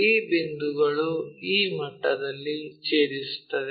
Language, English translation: Kannada, These points intersect at this level